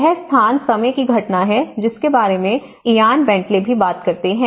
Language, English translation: Hindi, This is space time phenomenon which Ian Bentley also talks about it